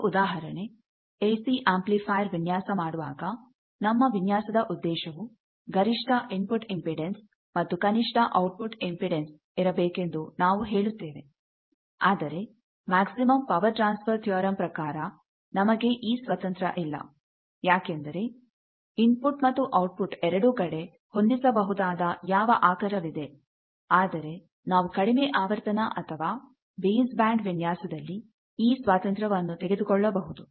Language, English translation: Kannada, One example, I will say that when we design AC amplifier, we try to say that our design goal is will have maximize the input impedance and minimize the output impedance, but from the power maximum power transfer theorem, we are not at liberty because what is the source we will have to match to that both in the input side and output side, but we can take that liberty in the case of the low frequency design or base band design